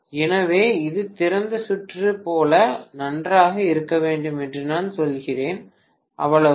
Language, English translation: Tamil, So I am telling that it has to be as good as open circuit, that is all, got it